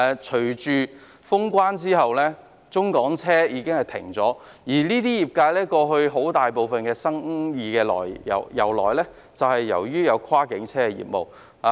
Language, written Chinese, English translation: Cantonese, 隨着封關，中港車已暫停營運，而相關業界過去的主要生意來源便是跨境車業務。, The operation of cross - boundary vehicles has come to a standstill following the suspension of cross - boundary travel which has been the major source of business for the relevant sectors